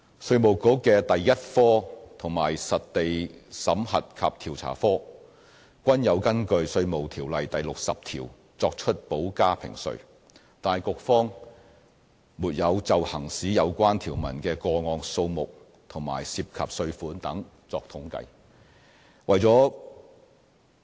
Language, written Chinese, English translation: Cantonese, 稅務局的第一科和實地審核及調查科均有根據《稅務條例》第60條作出補加評稅，但局方沒有就行使有關條文的個案數目和涉及稅款等作統計。, While both Unit 1 and the Field Audit and Investigation Unit of IRD make additional assessments under section 60 of IRO IRD has no statistics on the number of cases in which the provision is enforced or the amount of tax involved etc